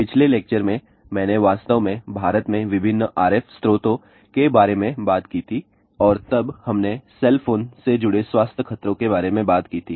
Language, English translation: Hindi, In the last lecture I had actually talked about what are the various RF sources in India and then we talked about health hazards associated with cell phone